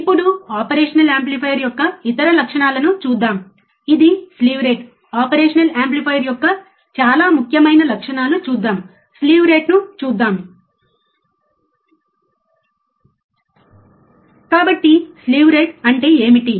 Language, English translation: Telugu, Now, let us see the other characteristics of an operational amplifier which is the slew rate, very important characteristics of the operational amplifier let us see, slew rate right